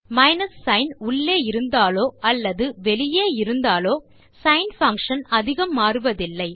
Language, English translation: Tamil, The minus sign being inside or outside the sin function doesnt change much